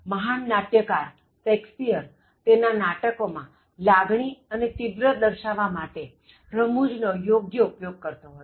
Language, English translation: Gujarati, Great playwrights like Shakespeare used appropriate humour to intensify the emotional content of their plays